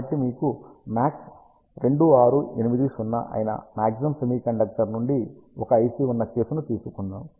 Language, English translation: Telugu, So, let us take a case you have an IC from MAX semiconductor ah which is MAX 2680